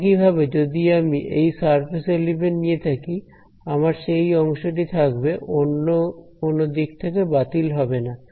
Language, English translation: Bengali, Similarly when I take this surface element over here, I am going to have the part along here is not going to cancel from anywhere right